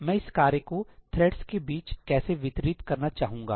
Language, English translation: Hindi, How would I like to distribute this work amongst the threads